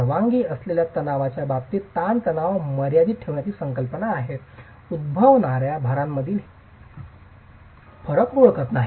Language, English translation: Marathi, This concept of limiting the stresses in terms of the permissible stresses is does not recognize the differences between the loads that can occur